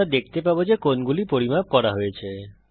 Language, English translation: Bengali, We see that the angles are measured